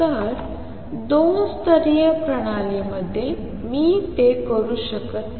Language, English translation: Marathi, So, in two level system I cannot do that